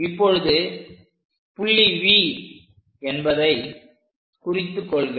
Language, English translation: Tamil, Let us mark this point as V this is the point V